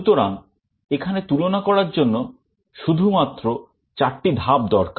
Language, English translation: Bengali, So, here only 4 comparison steps are required